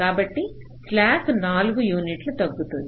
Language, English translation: Telugu, so the slack will be reduced by four units